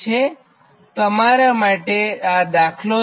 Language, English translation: Gujarati, this is an exercise for you